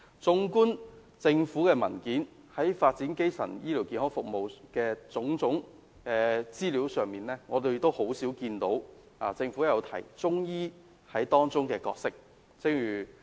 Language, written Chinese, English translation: Cantonese, 綜觀政府的文件，在發展基層醫療服務的種種資料上，我們很少看到政府有提及中醫在當中的角色。, It can be observed from various government papers that the Government seldom mentions Chinese medicines and its role in the development of primary health care services